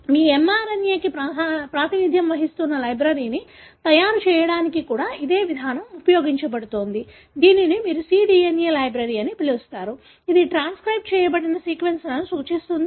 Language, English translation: Telugu, Very similar approach is also used for making a library representing your mRNA, which you call as cDNA library, which represent the transcribed sequences